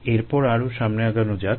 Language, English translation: Bengali, then that is more forward